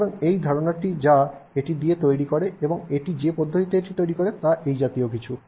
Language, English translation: Bengali, So that is the idea that with which it does and the manner in which it does is something like this